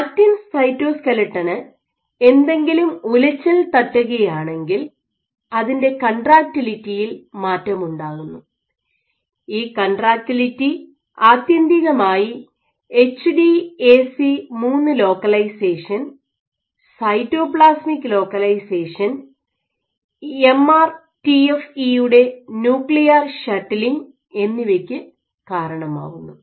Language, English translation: Malayalam, And by actin cytoskeleton when it is perturbed what it will change its contractility, and this contractility will eventually act upon HDAC3 localization, cytoplasmic localization and nuclear shuttling, MRTFE all of these eventually perturbed chromatin condensation levels which dictates the gene expression patterns